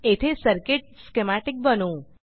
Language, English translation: Marathi, We will create circuit schematics here